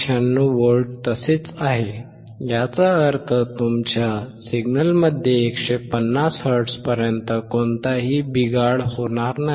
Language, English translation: Marathi, 96 volts; which means, there is no deterioration in your signal until 150 hertz